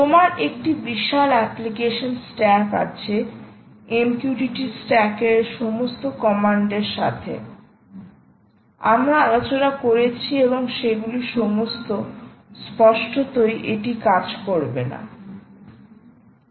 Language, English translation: Bengali, you have a huge application stack, m q t t stack, with all these commands which we discussed and all that